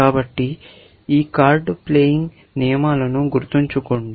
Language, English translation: Telugu, So, remember this card playing rules, we have said